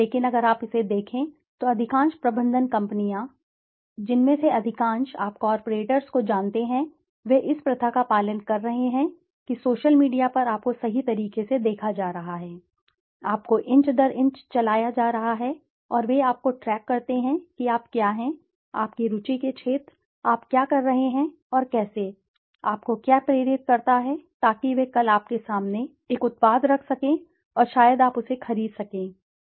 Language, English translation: Hindi, But if you look at it, most of the management companies, most of the, you know corporates, they are following this practice that on the social media you are being rightly, you are being followed inch by inch and they track you to what are your interest areas, what are you doing and how, what motivates you so that they can tomorrow maybe place a product before you and maybe you can purchase it, who knows